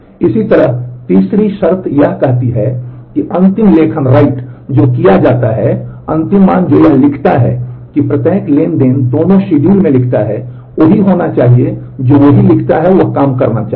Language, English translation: Hindi, Similarly, the third condition says that the final write that is done, final value that it writes every transaction writes in both the schedules must be the same the same writes should operate